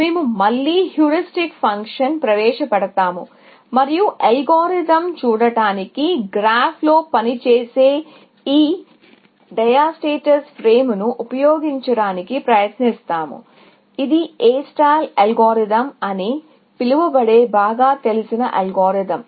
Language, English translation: Telugu, We will introduce a heuristic function back again, and try to use this diastase frame of working on a graph to look at an algorithm, which is a very well known algorithm called A star algorithm